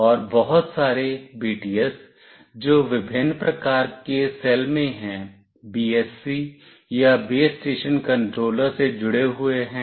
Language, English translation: Hindi, And a number of BTS, which are in different cells, are connected with BSC or Base Station Controller